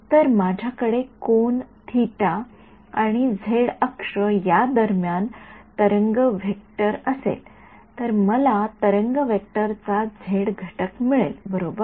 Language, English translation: Marathi, So, if I have a wave vector between angle theta with the z axis, giving me the z component of the wave vector right